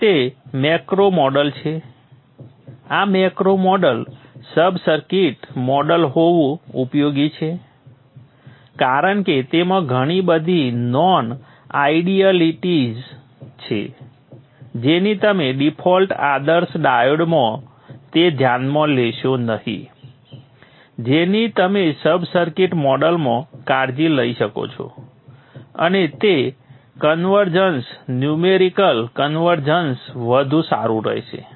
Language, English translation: Gujarati, It is useful to have this macro model, sub circuit model because there are a lot of non idealities which will not take care in the default ideal diode which you can take care in the sub circuit model and it will the convergence, numerical convergence will be much better